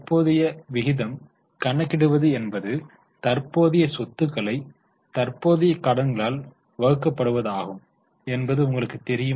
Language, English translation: Tamil, Now, current ratio, you know it is current assets divided by current liabilities